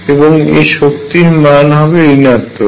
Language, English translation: Bengali, And this energy is going to be negative